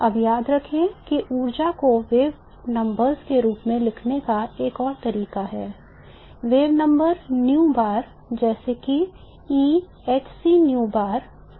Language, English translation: Hindi, Now remember that there is another way of writing the energy in terms of wave numbers, wave numbers new bar, such that E is given by this formula HC new bar